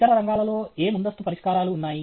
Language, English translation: Telugu, What prior solutions exist in other fields